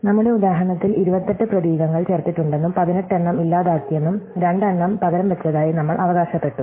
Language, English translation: Malayalam, So, in our example we claimed that 28 characters were inserted, 18 were deleted and 2 were substituted